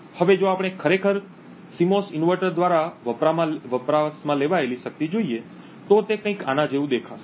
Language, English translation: Gujarati, Now if we actually look at the power consumed by the CMOS inverter, it would look something like this